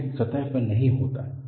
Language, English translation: Hindi, It does not occur on the surface